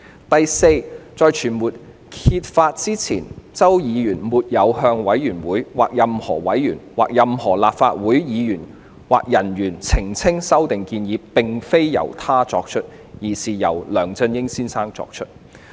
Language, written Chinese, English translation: Cantonese, 第四，在傳媒揭發之前，周議員並沒有向委員會、任何委員、任何立法會議員或人員澄清修訂建議並非由他作出，而是由梁先生作出。, Fourthly before the case was revealed in media reports Mr CHOW had not clarified to the Select Committee its members any Member or staff member of LegCo that instead of himself Mr LEUNG was the author of the proposed amendments